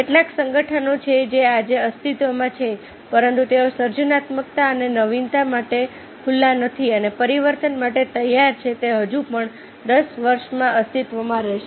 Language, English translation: Gujarati, how many organization that exist today but they are not open to creativity and innovation and willing to change will still exist in ten years